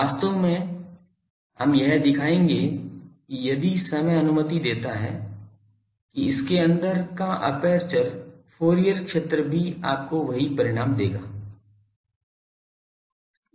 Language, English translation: Hindi, Actually we will show if time permits that the aperture Fourier field thing etc, etc